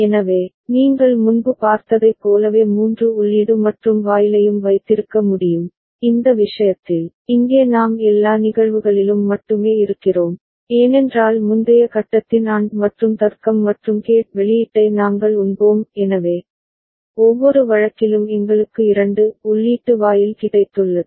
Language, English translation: Tamil, So, we can have a three input AND gate also like the one that you had seen before, in this case instead, here we are only having in all the cases because we are feeding the AND logic, AND gate output of the previous stage; so, every case we have got a 2 input gate